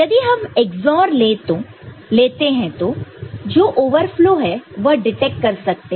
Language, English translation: Hindi, So, if you take XOR of that you can get the overflow detected right